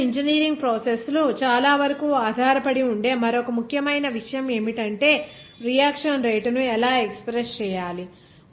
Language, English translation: Telugu, Then another important that most of the chemical engineering processes actually depends on is that reaction, so how to express that the reaction rate